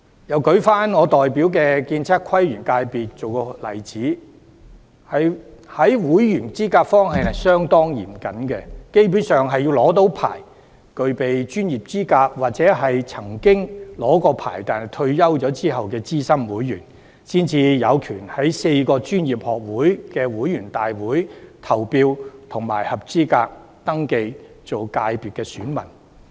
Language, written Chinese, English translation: Cantonese, 又以我代表的建測規園界為例，這個界別在會員資格方面相當嚴謹，基本上必須是持牌、具備專業資格的人士，或曾經持牌的退休資深會員，才有權在4個專業學會的會員大會上投票，以及合資格登記為界別選民。, Take the Architectural Surveying Planning and Landscape Constituency that I represent as an example again the membership of this FC is very stringent and basically only those holding a licence and the professional qualifications or those retired senior members who have held a licence before are entitled to vote at general meetings of the four professional institutes and are thus eligible to register as voters of the FC